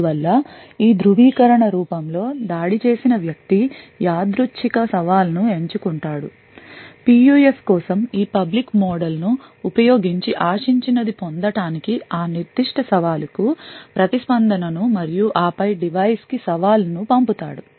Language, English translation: Telugu, Therefore, in this form of authentication what is suggested is that the attacker picks out a random challenge, uses this public model for the PUF to obtain what an expected response for that particular challenge and then sends out the challenge to the device